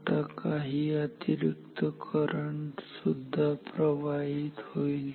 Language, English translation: Marathi, Now, some extra current is flowing through this